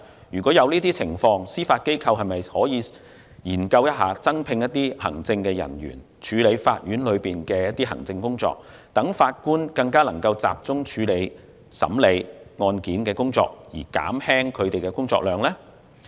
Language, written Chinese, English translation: Cantonese, 若有這種情況，司法機構可否研究增聘行政人員，處理法院的行政工作，讓法官更能集中處理案件審理工作，從而減輕法官的工作量。, If that is the case can the Judiciary consider recruiting additional administrative staff to deal with the administrative tasks of the courts allowing Judges to be more focused on hearing case thereby reducing their workload?